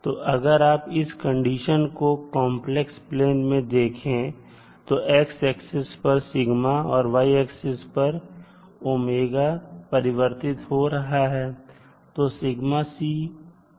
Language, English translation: Hindi, So if you see the particular condition in the a complex plane so sigma is varying in the at the x axis and g omega at the y axis